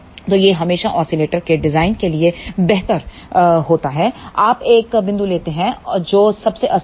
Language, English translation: Hindi, So, it is always better for design of the oscillator you take a point which is most unstable